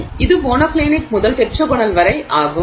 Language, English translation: Tamil, So, this is monoclinic to tetragonal